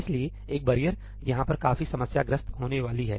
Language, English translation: Hindi, So, a barrier is going to be quite problematic over here